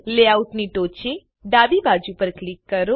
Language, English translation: Gujarati, Click on the Top left side of layout